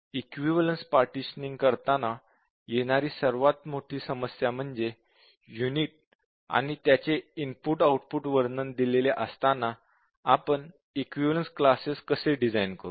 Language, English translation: Marathi, Now, the hardest problem here, in equivalence partitioning is that, given a unit and its input output description, how do we design the equivalence classes